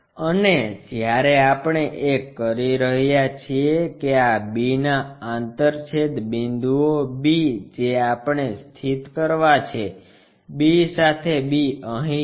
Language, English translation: Gujarati, And when we are doing that these are the intersection points b with b we have to locate, b with b is here